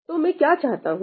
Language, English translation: Hindi, So, what do I want